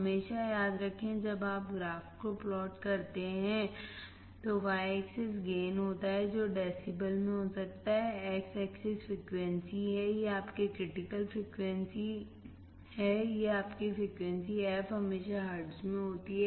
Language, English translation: Hindi, Always remember when you plot the graph, y axis is gain which can be in decibels, x axis is frequency, this is your critical frequency fc, this is your frequency f is always in hertz